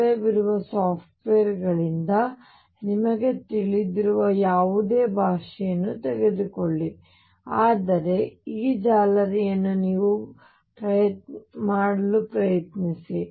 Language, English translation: Kannada, Take whatever help you have from available softwares whatever language you know, but try to make this mesh yourself